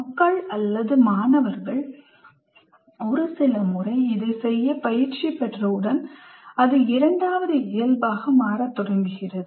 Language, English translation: Tamil, So once people are trained, students are trained in doing this a few times, then it starts becoming second nature to the students